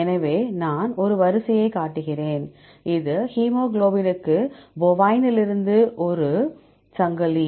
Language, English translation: Tamil, So, I show a sequence, this is for the hemoglobin a chain from bovine